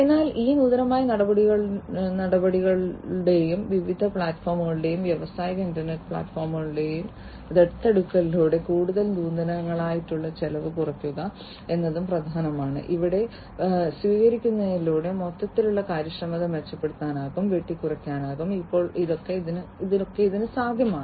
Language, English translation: Malayalam, But what is important also to have further innovation cutting down on the costs, further, through these innovative steps and adoption of different platforms and industrial internet platforms, through the adoption of all of these it is now possible to improve the overall efficiency and cutting down on the perform on, the reduced performance issues through the adoption of industrial internet